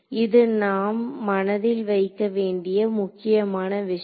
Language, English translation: Tamil, So, this is the important thing that we have to keep in mind